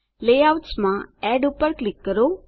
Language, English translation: Gujarati, In Layouts, click Add